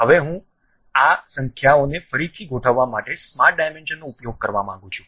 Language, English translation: Gujarati, Now, I would like to use smart dimensions to realign these numbers